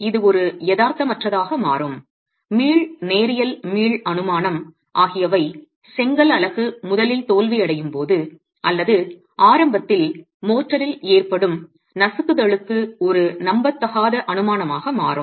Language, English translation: Tamil, This becomes an unrealistic, the elastic, linear elastic assumption becomes an unrealistic assumption both for situations of the brick unit failing first or crushing happening in the motor early on